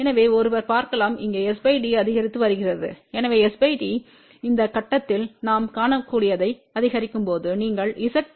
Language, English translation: Tamil, So, one can see that here s by d is increasing, so as s by d increases what we can see at this point you can say Z